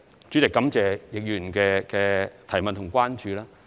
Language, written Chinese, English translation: Cantonese, 主席，感謝易議員的補充質詢和關注。, President many thanks to Mr YICK for his supplementary question and concern